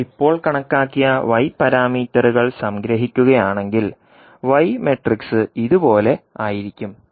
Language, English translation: Malayalam, Now, if you compile the y parameters which you have just calculated, the y matrix will be as shown in this slide that is 0